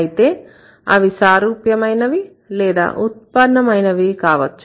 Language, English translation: Telugu, So, either similar ones or the derived ones